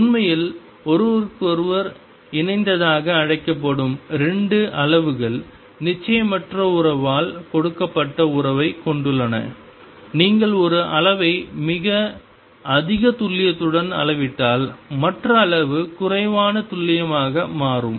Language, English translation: Tamil, In fact, 2 quantities which are called conjugate to each other have a relationship given by uncertainty relation if you measure one quantity to very high accuracy the other quantity becomes less accurate